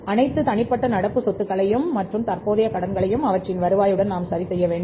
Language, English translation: Tamil, We have to adjust all individual current assets and current liabilities to their turnovers